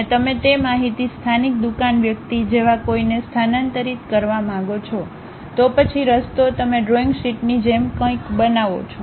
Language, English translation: Gujarati, And you want to transfer that information to someone like local shop guy, then the way is you make something like a drawing sheet